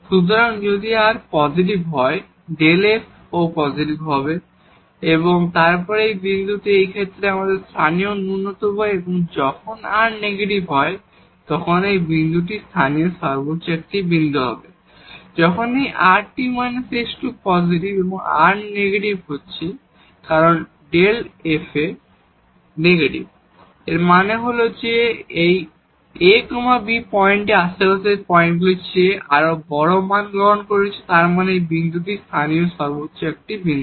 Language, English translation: Bengali, So, if r is positive delta f is positive and then we have this point is a local minimum in this case and when r is negative this point will be a point of local maximum when this rt minus s square is positive and r is negative because having this delta f a negative means that, this ab point is taking more larger values than the points in the neighborhood at; that means, this point is a point of local maximum